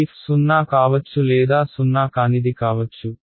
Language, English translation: Telugu, This f may be zero or it will be or it can be non zero